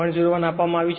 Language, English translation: Gujarati, 04 right it is given